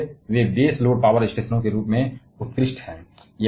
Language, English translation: Hindi, And therefore, they are excellent as base load power stations